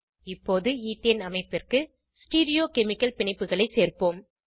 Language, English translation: Tamil, Now let us add Stereochemical bonds to Ethane structure